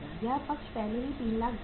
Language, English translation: Hindi, This side is already 3,16,250